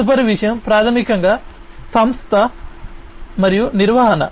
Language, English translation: Telugu, The next thing is basically the organization and management